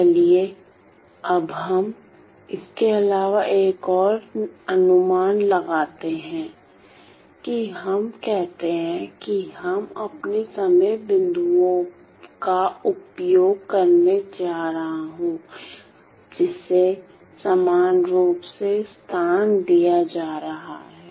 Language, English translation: Hindi, Now let us now further make another approximation let us say that I am going to use my time points put tn to be equally spaced